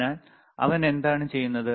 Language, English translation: Malayalam, So, what he is doing